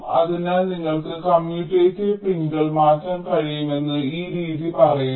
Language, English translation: Malayalam, so this method says that you can swap commutative pins